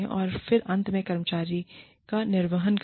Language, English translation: Hindi, And then, finally, discharge the employee